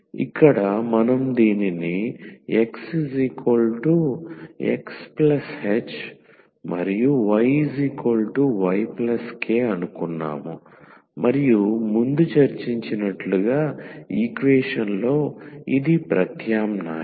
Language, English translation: Telugu, So, here we assumed this x is equal to X plus h and y is equal to Y plus k and substitute in the equation as discussed before